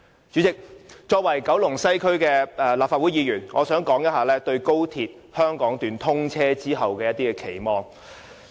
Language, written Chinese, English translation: Cantonese, 主席，作為九龍西區的立法會議員，我想談談對高鐵香港段通車後的期望。, President as a Legislative Council Member from the Kowloon West geographical constituency I wish to talk about my expectation of the XRL Hong Kong Section after its commissioning